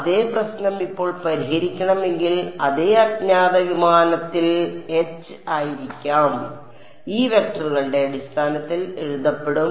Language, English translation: Malayalam, The same problem if I want to solve now my unknown can be h in the plane Hx Hy will be written in terms of these vectors